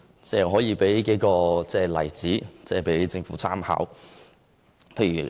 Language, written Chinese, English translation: Cantonese, 我可以列舉例子供政府參考。, Here are some examples for its reference